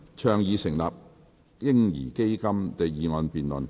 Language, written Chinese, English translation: Cantonese, "倡議成立'嬰兒基金'"的議案辯論。, The motion debate on Advocating the establishment of a baby fund